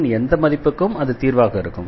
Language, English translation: Tamil, For any value of C, that will be the solution